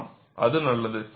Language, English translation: Tamil, Yes, that is good